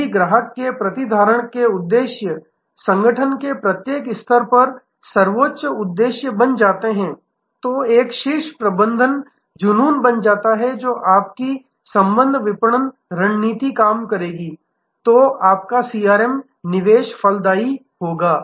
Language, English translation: Hindi, If the objectives of customer retention becomes a supreme objective across every level of organization becomes a top a management obsession, then your relationship marketing strategy will work, then your CRM investment will be fruitful